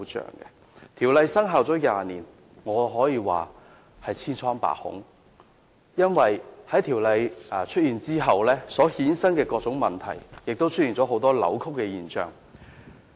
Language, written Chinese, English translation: Cantonese, 然而，《條例》生效20年以來，情況可謂千瘡百孔，因為《條例》制定後衍生了各種問題，亦出現了很多扭曲的現象。, Yet over the 20 years since CMO came into effect we have found numerous deficiencies . The implementation of CMO has given rise to all kinds of problems and distortions